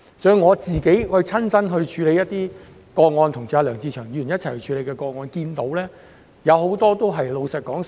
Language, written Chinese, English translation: Cantonese, 從我親身處理的個案，以及我跟梁志祥議員一同處理的個案所見，寮屋居民都是老人家。, The cases I have handled myself and also those I have handled together with Mr LEUNG Che - cheung show that squatter occupants are invariably elderly people